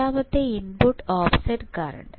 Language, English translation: Malayalam, So, what is input offset voltage